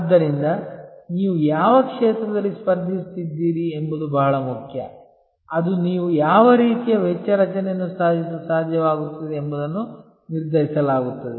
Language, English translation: Kannada, So, which field you are competing in is very important that will be often determined by what kind of cost structure you are able to achieve